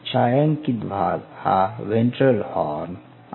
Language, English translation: Marathi, The shaded region is the ventral horn, ventral horn